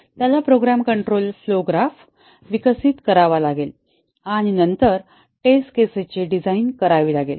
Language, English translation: Marathi, Does he have to develop a graph for the program control flow graph and then, design the test cases